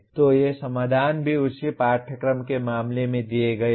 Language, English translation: Hindi, So these solutions are also given in case of the same course